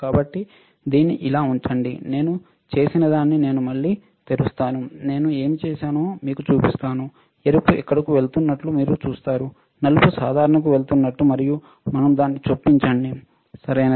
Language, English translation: Telugu, So, keep it like this, what I have done I will open it again to show it to you what I have done you see red goes here black is common right and we insert it, right